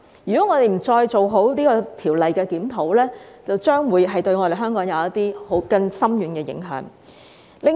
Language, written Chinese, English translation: Cantonese, 如果我們不再就《條例》做好檢討，將會對香港造成更深遠的影響。, If we still do not undertake a proper review of the Ordinance it will have an even more far - reaching impact on Hong Kong